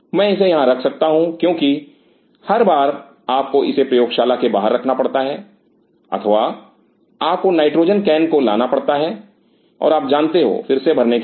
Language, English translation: Hindi, I can keep it here because every time you have to pull this out of the lab or you have to bring the nitrogen can and you know refill that